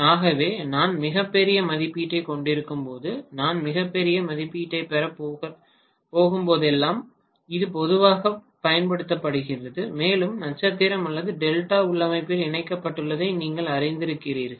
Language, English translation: Tamil, So, this is generally used whenever I am going to have extremely large rating when I have very very large rating and I want to kind of retain the flexibility to you know connected in either star or Delta configuration